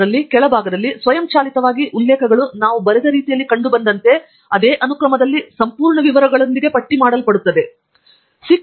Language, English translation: Kannada, In that, in the bottom automatically the references are listed with complete details in the same sequence as they have appeared in the way we have written